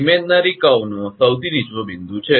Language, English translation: Gujarati, There is a lowest point of the imaginary curve